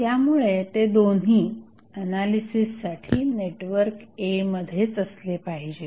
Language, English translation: Marathi, So, both should be inside the network A for analysis